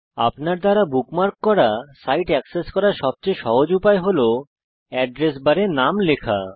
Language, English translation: Bengali, The easiest way, to access a site that you bookmarked, is to type the name in the Address bar